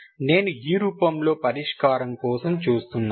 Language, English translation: Telugu, I look for solution in this form